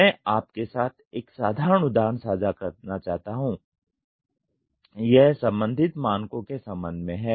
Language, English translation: Hindi, I would like to share a simple example with you this is regarding the standards are concerned